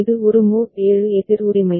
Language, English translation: Tamil, It is a mod 7 counter right